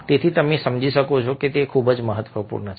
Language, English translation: Gujarati, so you understand that this is very, very important